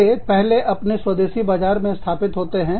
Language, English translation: Hindi, They first, gets established, in the domestic markets